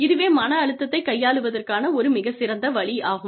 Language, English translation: Tamil, One very effective way of dealing with stress